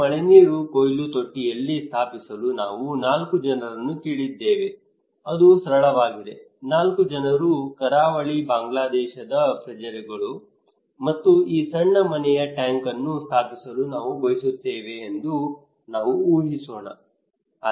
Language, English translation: Kannada, Let us imagine that we have four people whom we asked to install this rainwater harvesting tank okay it is simple, four people they are the citizen of Bangladesh in coastal Bangladesh, and we want them to install this small household tank